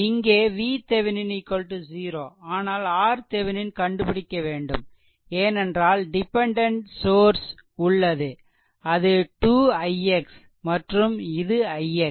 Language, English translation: Tamil, V V So, now, question is that V Thevenin is 0, but you can find out R Thevenin, because dependent source is there this is 2 i x and this is i x